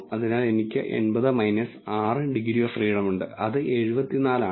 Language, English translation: Malayalam, So, I have 80 minus 6 degrees of freedom which is 74